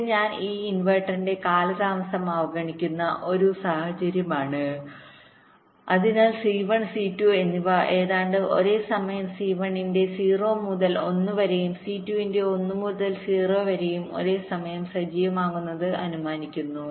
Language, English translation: Malayalam, this is a scenario where here i am ignoring the delay of this inverter, so i am assuming c one and c two are getting activated almost simultaneously, zero to one of c one and one to zero of c two are happing together